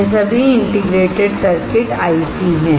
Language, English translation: Hindi, It is all integrated circuits